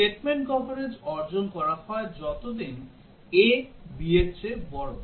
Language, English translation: Bengali, Statement coverage achieved as long as a greater than b